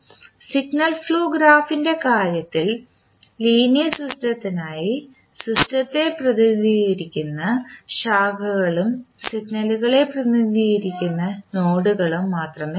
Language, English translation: Malayalam, In case of signal flow graph we will see, for the linear system we will see only branches which represent the system and the nodes which represent the signals